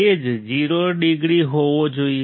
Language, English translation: Gujarati, The phase should be 0 degrees